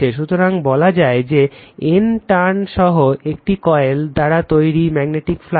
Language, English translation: Bengali, So, in your what you call the magnetic flux produced by a single coil with N turns